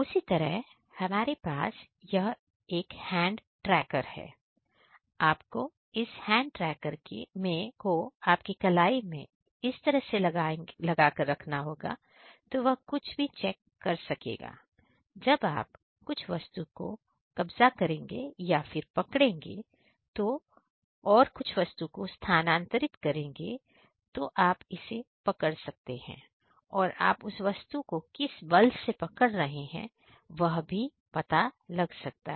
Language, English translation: Hindi, Similarly we are having this hand tracker, so you just had to mount this hand; hand tracker on your wrist so that whenever you will move certain object or whenever you will capture and move certain object you it can capture what with what force you are capturing that object